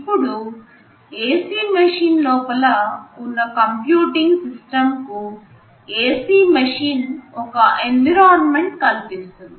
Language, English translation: Telugu, Now this computing system that is sitting inside an AC machine, for that computing system the AC machine is the environment